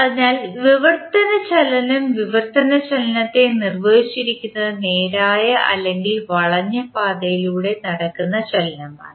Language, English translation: Malayalam, So, the translational motion, we can say that the motion of translational is defined as the motion that takes place along a straight or curved path